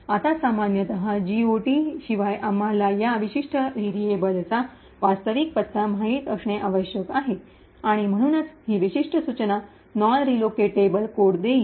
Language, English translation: Marathi, Now, typically without GOT we would require to know the actual address of this particular variable and therefore this particular instruction would result in non relocatable code